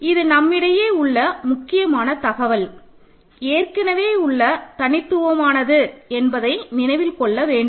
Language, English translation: Tamil, So, this is an important information that we have and remember this is unique that we know already